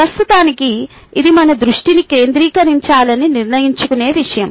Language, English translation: Telugu, in reality, it is something that we decide to focus or attention on